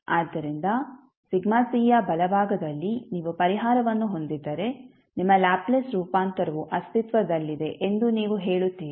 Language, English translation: Kannada, So, right side of sigma c if you have the solution then you will say that your Laplace transform will exist